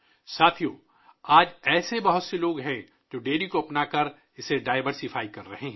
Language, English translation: Urdu, Friends, today there are many people who are diversifying by adopting dairy